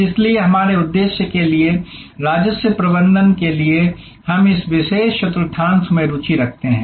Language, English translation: Hindi, So, for our purpose, for the revenue management we are interested in this particular quadrant